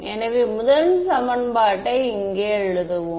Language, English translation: Tamil, So, first equation so, let us write down over here